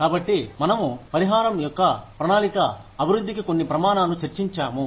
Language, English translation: Telugu, So, we discussed, some criteria for developing, a plan of compensation